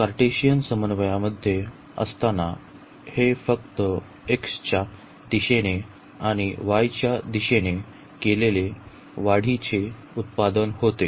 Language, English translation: Marathi, While in the Cartesian coordinate, it was simply the product of the increments we have made in the direction of x and in the direction of y